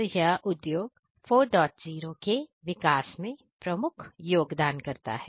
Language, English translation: Hindi, So, these are actually prime contributors to the Industry 4